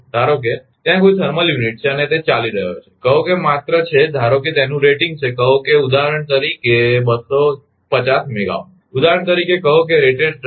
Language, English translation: Gujarati, Suppose suppose a thermal unit is there and, it was running say it was just suppose it is rating is say for example, 250 megawatt for example, say a rated capacity